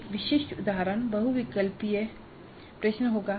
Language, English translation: Hindi, A typical example would be a multiple choice question